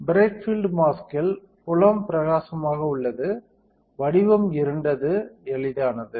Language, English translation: Tamil, In bright field mask, field is bright; pattern is dark easy right